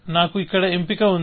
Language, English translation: Telugu, So, I have a choice here